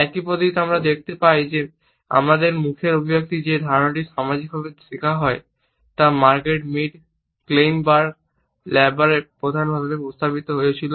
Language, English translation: Bengali, In the same manner we find that the idea that our facial expressions are socially learnt has been suggested by Margret Mead, Kleinberg and Labarre prominently